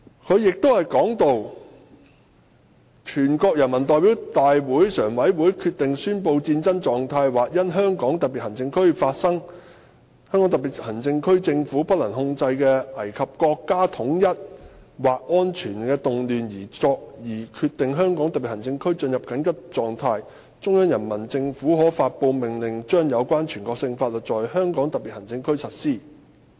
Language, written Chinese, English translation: Cantonese, "此外，"全國人民代表大會常務委員會決定宣布戰爭狀態或因香港特別行政區內發生香港特別行政區政府不能控制的危及國家統一或安全的動亂而決定香港特別行政區進入緊急狀態，中央人民政府可發布命令將有關全國性法律在香港特別行政區實施。, Furthermore In the event that the Standing Committee of the National Peoples Congress decides to declare a state of war or by reason of turmoil within the Hong Kong Special Administrative Region which endangers national unity or security and is beyond the control of the government of the Region decides that the Region is in a state of emergency the Central Peoples Government may issue an order applying the relevant national laws in the Region